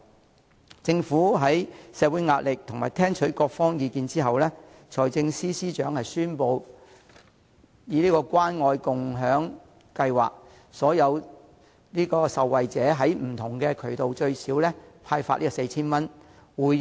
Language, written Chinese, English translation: Cantonese, 財政司司長在面對社會壓力及聽取各方意見後，為了回應社會訴求，宣布推行關愛共享計劃，讓受惠者透過不同渠道獲派最少 4,000 元。, In the face of social pressure and after listening to views from various sides the Financial Secretary has finally announced the launch of a Caring and Sharing Scheme to respond to social aspirations so that recipients can receive at least 4,000 through various channels